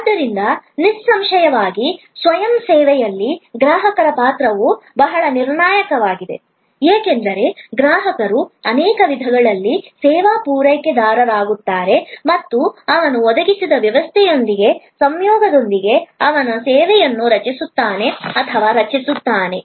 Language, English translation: Kannada, So, obviously in self service, the role of the customer is very critical, because customer becomes in many ways the service provider and he creates or she creates the service in conjunction with the system provided